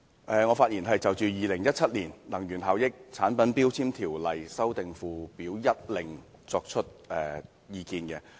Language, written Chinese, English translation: Cantonese, 我發言是要就《2017年能源效益條例令》提出意見。, I speak to give my views on the Energy Efficiency Ordinance Order 2017